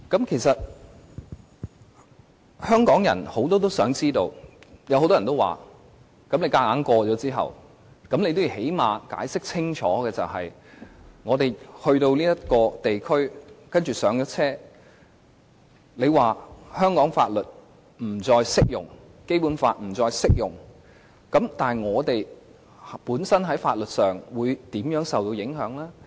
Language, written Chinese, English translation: Cantonese, 其實很多香港人也關心，即使政府強行通過方案，亦最低限度要解釋清楚，在我們走進這地區，上車之後，當香港的法律和《基本法》不再適用時，那麼適用於我們本身的法律，會受到甚麼影響？, It is actually a matter of concern to many Hong Kong people . They think that even if the Government wants to push through its proposal it should at least explain clearly what will happen if we become involved in law issues after entering the co - location area and boarding the train when all Hong Kong laws and the Basic Law cease to apply